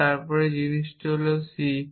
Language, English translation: Bengali, So, at this point we have added c